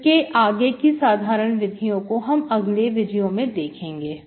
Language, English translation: Hindi, So we will see the general method in the next video